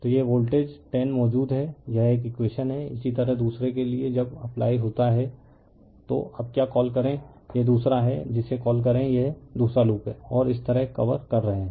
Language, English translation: Hindi, So, this is the voltage 10 exist this is one equation, similarly for your second one, when you apply your what you call now this is the second your what you call this is the second loop and you are covering like this